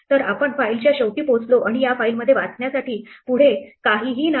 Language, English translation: Marathi, So, we reached the end of the file and there is nothing further to read in this file